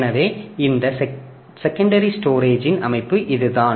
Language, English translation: Tamil, So, that is the structure of this secondary storage